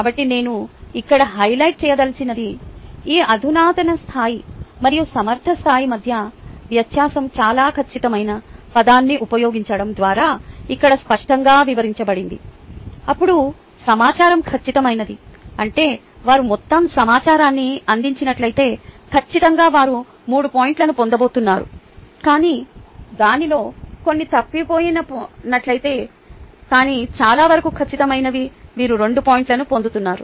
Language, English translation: Telugu, so what i would like to highlight here, the difference between these sophisticated level and competent level, is clearly described here by the use of the word mostly accurate then the information is accurate, which means that the person, if they have provided all the information accurately, they are going to three, ah, get three points